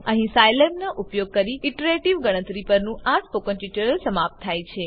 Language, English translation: Gujarati, Welcome to the spoken tutorial on iterative calculations using Scilab